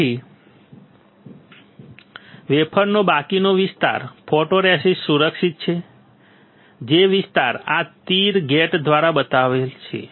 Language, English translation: Gujarati, So, rest of the area of the wafer is protected by photoresist, the area which is shown by these arrows